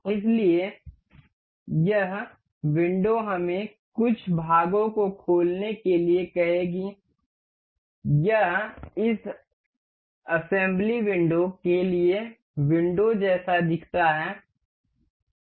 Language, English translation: Hindi, So, thus window will ask to us open some parts, this is the windowed look like for this assembly window